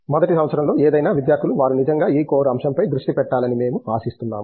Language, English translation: Telugu, Any students in the first year we expect them to really focus on this core